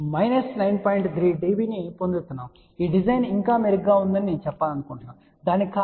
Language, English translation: Telugu, 3 db , I just to want to mention that this design is still better the reason for that is that